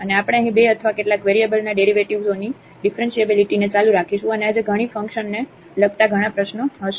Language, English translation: Gujarati, And, again we will continue here the Differentiability of Functions of Two or Several Variables and there will be many worked problems today